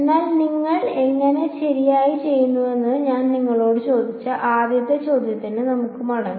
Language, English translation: Malayalam, But let us get back to this the first question which I asked you how you chose n right